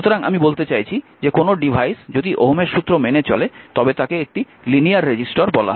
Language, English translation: Bengali, So, I mean any devices obeys, I mean a it obeys your Ohm’s law, that is a resistor that that is a call a linear resistor